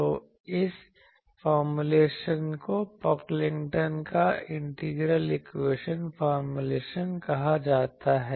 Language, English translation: Hindi, So, this formulation is called Pocklington’s integral equation formulation